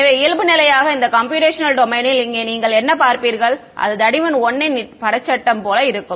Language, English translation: Tamil, So, by default what it will do you look at this computational domain over here it will put like a picture frame of thickness 1 all around ok